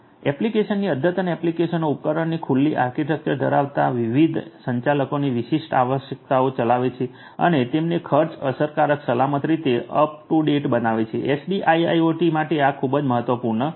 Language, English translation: Gujarati, Applications up to date applications having open architecture of devices running different administrators specific requirements and up and making them up to date, in a cost effective secure manner is also very important for SDIIoT